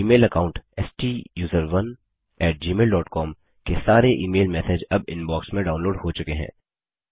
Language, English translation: Hindi, All email messages from the Gmail account STUSERONE at gmail dot come are now downloaded into the Inbox